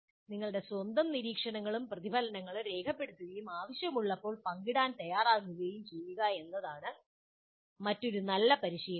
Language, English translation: Malayalam, Now, another good practice is to document your own observations and reflections and be willing to share when required